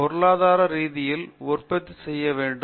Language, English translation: Tamil, Okay But to economically produce it has to be done